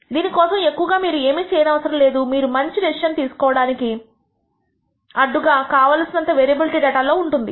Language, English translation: Telugu, This you may not be able to do much about this they might be enough sufficient variability in the data which prevents you from making a good decision